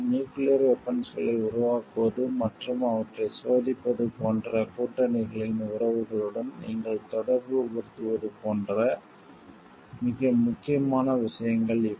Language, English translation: Tamil, These are very important things like would you related to the relation of the alliances, in terms of like developing of their nuclear weapons and testing them